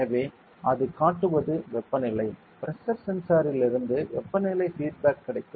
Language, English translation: Tamil, So, what it will show is Temperature; there will be Temperature feedback from the pressure sensor